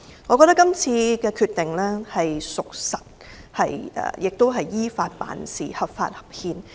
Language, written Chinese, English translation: Cantonese, 我認為這次的決定有真憑實據，亦是依法辦事，合法合憲。, In my opinion the decision was founded on concrete evidence and complied with the law it was thus lawful and constitutional